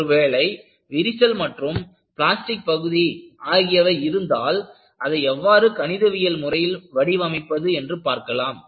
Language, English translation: Tamil, Suppose, I have a crack and I have a plastic zone, how do I mathematically model it